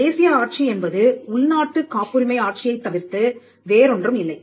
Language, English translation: Tamil, The national regime is nothing, but the domestic patent regime